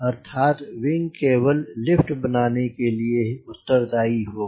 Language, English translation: Hindi, that means this wing will only be responsible for producing lift